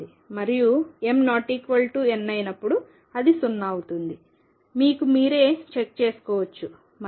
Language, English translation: Telugu, And when m is not equal to n it is 0, which you can check yourself